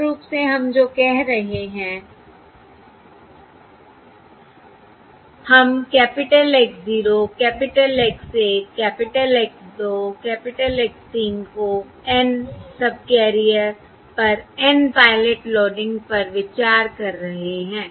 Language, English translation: Hindi, Basically, what we are saying is we are considering capital X 0, capital X 1, capital X 2, capital X 3 to be the N pilots loading onto the N subcarrier